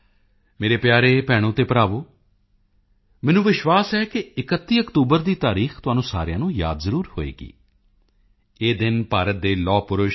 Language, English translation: Punjabi, My dear brothers and sisters, I am sure all of you remember the significance of the 31st of October